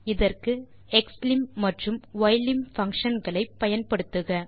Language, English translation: Tamil, Use xlim()function and ylim() function to get the limits